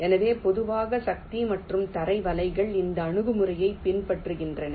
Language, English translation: Tamil, ok, so typically the power and ground nets follow this approach